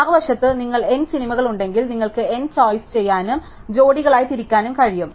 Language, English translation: Malayalam, On the other hand, if you have n movies, then you can do n choice, n choose to pairs